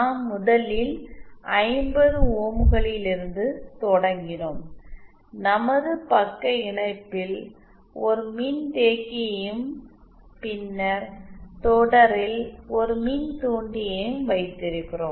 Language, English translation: Tamil, We started from 50 ohms first we have a capacitor in shunt and then an inductor in series